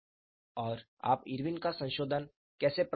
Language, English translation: Hindi, And how do you get Irwin’s modification